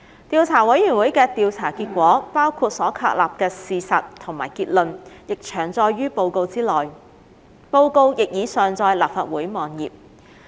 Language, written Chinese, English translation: Cantonese, 調査委員會的調查結果，包括所確立的事實及結論，已詳載於報告內，報告亦已上載立法會網頁。, The investigation findings of the Investigation Committee including the established facts and conclusion have already been stated in detail in this Report which has also been uploaded to the website of the Legislative Council